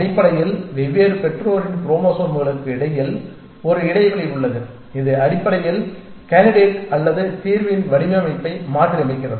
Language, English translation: Tamil, And essentially there is an interplay between chromosomes of different parents essentially which basically modifies the design of the candidate or design of the solution essentially